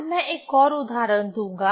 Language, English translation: Hindi, So, today I will give another example